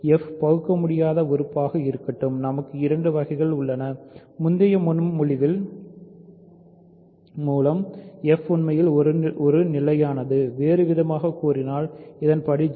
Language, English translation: Tamil, So, let f be an irreducible element, we have two cases; by the previous proposition f is actually a constant; in other words which is degree 0